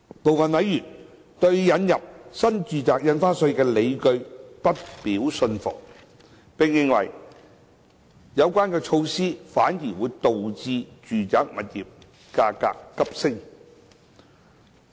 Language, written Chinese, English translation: Cantonese, 部分委員對引入新住宅印花稅的理據不表信服，並認為有關措施反而導致住宅物業價格急升。, Some members are not convinced by the justifications for introducing NRSD and they hold the view that such measures have instead contributed to the rapid increase in the residential property prices